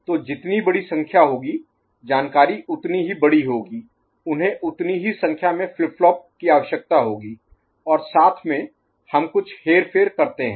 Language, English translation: Hindi, So, the larger the number, larger the information they will need as many number of flip flops and together we are say, doing some manipulation